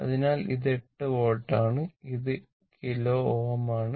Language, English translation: Malayalam, So, it is 8 volt right; 8 volt it is kilo ohm right